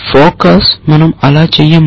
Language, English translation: Telugu, Focus we do not do that